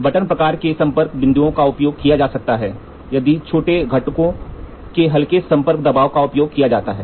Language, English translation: Hindi, So, the button type contact points can be used if light contact pressures of small components are used